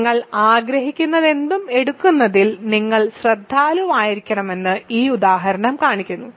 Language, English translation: Malayalam, So, this example shows that you have to be careful about taking whatever you want